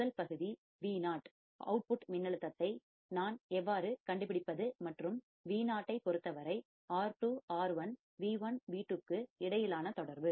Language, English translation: Tamil, First case is how I have to find the output voltage Vo, the relation between the R2, R1, V1, V2 with respect to Vo